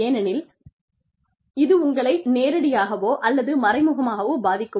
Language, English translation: Tamil, Because, it is going to affect you, directly or indirectly